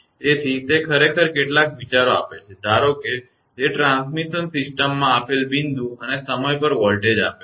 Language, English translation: Gujarati, So, it actually gives some ideas right at suppose it will give voltage at given point and time in a transmission system